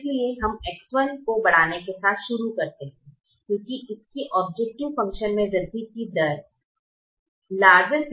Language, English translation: Hindi, so we start with increasing x one because it has a larger rate of increasing the objective function